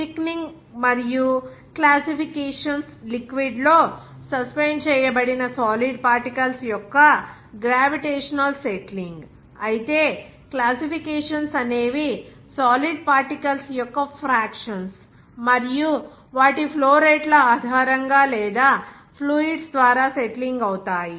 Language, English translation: Telugu, Thickening and classification also gravitational settling of solid particles that are suspended in a liquid, whereas classifications simply the fractions of solid particles based upon their rates of flow or settling through fluids